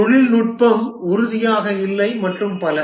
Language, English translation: Tamil, The technology is not certain and so on